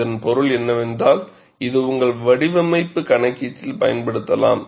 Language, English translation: Tamil, So, that means, this could be utilized in your design calculation